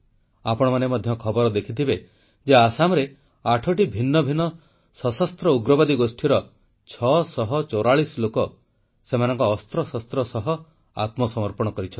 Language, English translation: Odia, You might also have seen it in the news, that a few days ago, 644 militants pertaining to 8 different militant groups, surrendered with their weapons